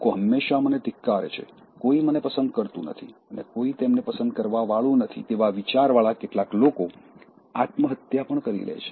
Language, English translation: Gujarati, People always hate me, nobody likes me and some people with this thought, that there is nobody to like them, even commit suicide